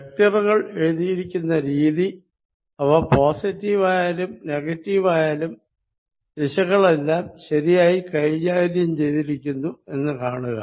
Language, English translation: Malayalam, Notice that vectors have been written in such a way, that whether they are positive or negative charges, all the directions of properly taken care of